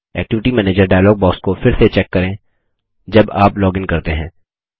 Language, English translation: Hindi, Check the Activity Manager dialog box again when you login